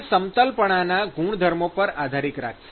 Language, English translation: Gujarati, And it depends upon the smoothness properties